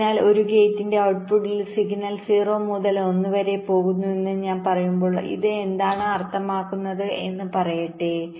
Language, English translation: Malayalam, so when i say that the signal at the output of a gate is going from zero to one, let say what does this mean